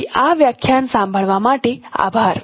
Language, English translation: Gujarati, So thank you for listening to this lecture